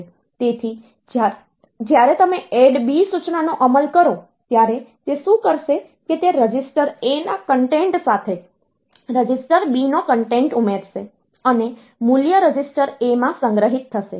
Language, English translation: Gujarati, So, when you execute the instruction ADD B, what it will do it will add the content of register B with the content of register A, and the value will be stored in register A